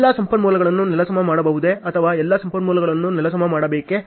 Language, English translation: Kannada, Can all resource can be leveled or all do resources has to be leveled